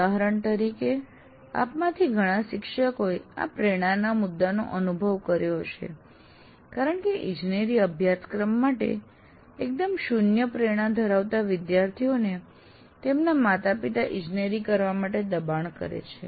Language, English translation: Gujarati, Now, for example, this motivation issue many of you teachers would have experienced because students with absolutely zero motivation engineering are pushed by the parents to do engineering